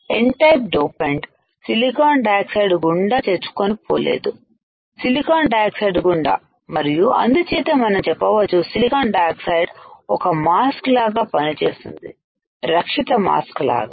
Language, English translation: Telugu, The N type dopant cannot penetrate through SiO 2 through silicon dioxide and that is why we can say that silicon dioxide acts as a mask protective mask